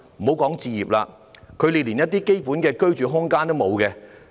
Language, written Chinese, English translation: Cantonese, 先不說置業，他們連基本的居住空間也沒有。, They are even deprived of the basic living space let alone buying property